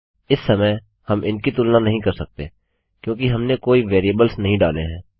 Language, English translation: Hindi, At the moment we cant compare these because we havent posted any variables Down here Ill create a form